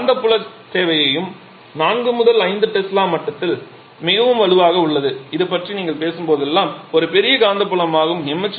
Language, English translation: Tamil, Here the magnetic field requirement is also quite strong in the level of 4 to 5 Tesla which is a human huge magnetic field that you are talking about